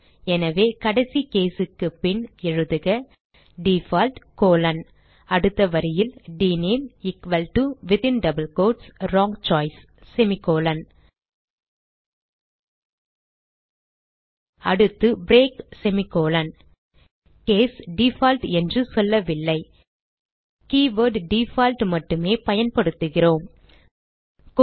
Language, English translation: Tamil, So After the last case, type default colon Next line dName equal to within double quotes Wrong Choice then semicolon Next line break semicolon We do not say case default Note that we simply use the keyword default